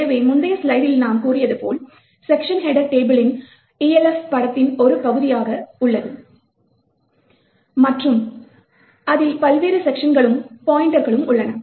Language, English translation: Tamil, So, as we said in the previous slide the section header table is present as part of the Elf image and it contains pointers to the various sections